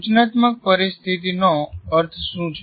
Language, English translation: Gujarati, What do we mean by instructional situations